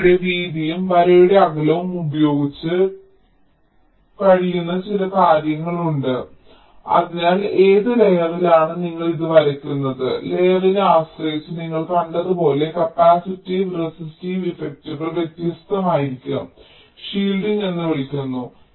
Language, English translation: Malayalam, see, there are a few things that can do: play with width of the line, spacing of the line, so on which layer you are drawing it, as you have seen, depending on the layer, the capacitive and resistive effects will be different and something called shielding